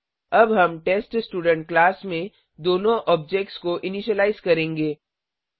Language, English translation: Hindi, We will now initialize both the objects in theTestStudent class